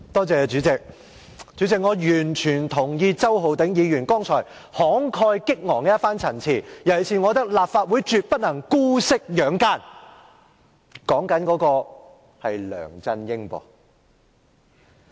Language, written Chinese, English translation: Cantonese, 主席，我完全認同周浩鼎議員剛才一番慷慨激昂的陳辭，尤其是我認為立法會絕不能姑息養奸，但我指的是梁振英。, President I totally agree with the passionate remarks made by Mr Holden CHOW just now . I particularly consider that the Legislative Council should not condone the evil yet I am referring to LEUNG Chun - ying